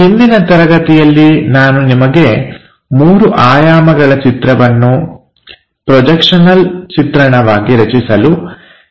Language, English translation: Kannada, In the last class, I have asked you to construct this three dimensional picture into projectional views